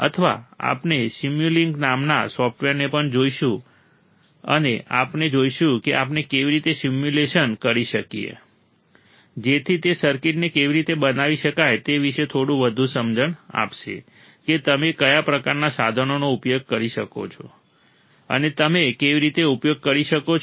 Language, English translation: Gujarati, Or we will also see software called simulink and we will see how we can do how we can perform the simulation right, so that will give a little bit more understanding on how the circuit can be implemented what kind of equipment you can use and how you can design a particular circuit using operation amplifier all right